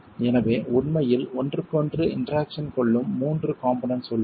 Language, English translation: Tamil, So, there are three elements that really interact with each other